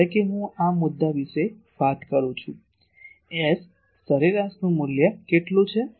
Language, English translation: Gujarati, Suppose, I am talking of this point, what is the value of S average this length is S average